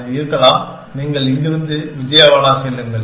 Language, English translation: Tamil, That may be, you go from here to Vijayawada